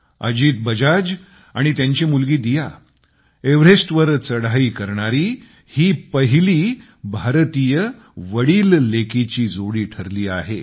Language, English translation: Marathi, Ajit Bajaj and his daughter became the first ever fatherdaughter duo to ascend Everest